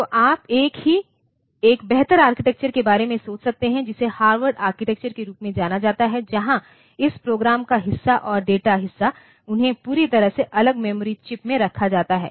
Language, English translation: Hindi, So, you can think about a better architecture which is known as Harvard architecture where this program part and the data part they are kept in totally separate memory chips